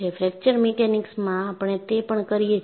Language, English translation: Gujarati, So, in fracture mechanics, we do that